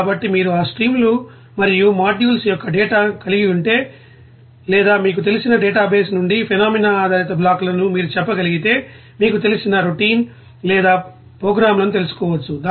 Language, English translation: Telugu, So, if you have that data of that streams and modules or you can say phenomena based blocks from those you know associated database you can you know make a you know routine or programs